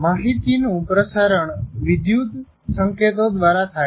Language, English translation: Gujarati, So the transmission of information is through electrical signals